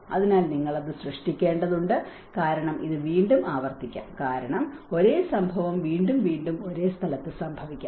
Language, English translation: Malayalam, So, there is you have to create that because this might repeat again because the same incident might occur again and again at the same place